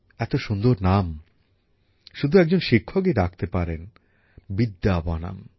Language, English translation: Bengali, Now only a teacher can come up with such a beautiful name 'Vidyavanam'